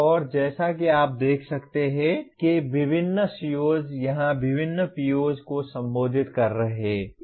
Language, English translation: Hindi, And as you can see different COs here are addressing different POs